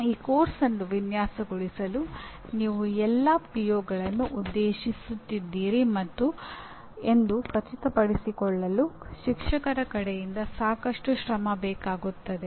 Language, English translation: Kannada, Designing this course will require lot of effort on the part of a teacher to make sure that you are addressing all these POs